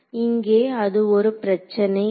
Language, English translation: Tamil, So, here they seems to be no problem